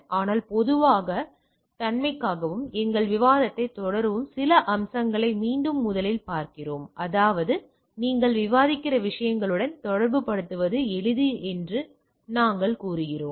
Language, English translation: Tamil, But for the say sake of generality and to continue our discussion we are looking into some aspects again with the first; that means, we say so, that it is easy to correlate with the what we are discussing